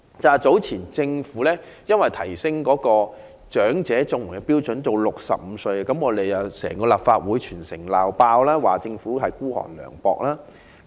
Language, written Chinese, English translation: Cantonese, 政府早前把長者綜援的申領年齡調高至65歲，整個立法會和全城"鬧爆"，認為政府孤寒涼薄。, Some time ago the Governments act of raising the eligible age for elderly Comprehensive Social Security Assistance CSSA to 65 was severely criticized by the whole Legislative Council and the entire city for being mean and unsympathetic